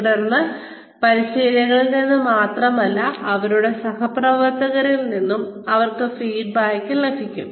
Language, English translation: Malayalam, And then, they get feedback, not only from the trainer, but also from their peers